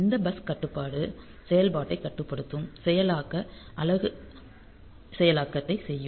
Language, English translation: Tamil, So, bus control will be controlling the operation there the processing unit which will be doing the processing